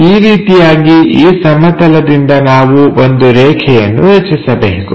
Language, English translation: Kannada, Project this onto this plane then we have a line